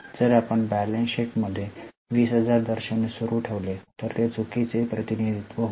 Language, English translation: Marathi, If in the balance sheet we continue to show 20,000, it will be a wrong representation